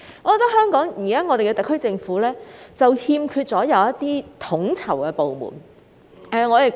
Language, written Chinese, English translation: Cantonese, 我認為特區政府現時欠缺的是一個統籌部門。, I think what is lacking now within the SAR Government is a coordinating department